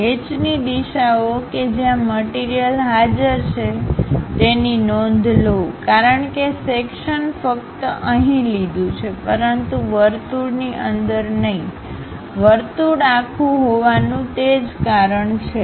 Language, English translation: Gujarati, Note the hatch directions where material is present; because section is considered only here, but not inside of that circle, that is a reason circle is complete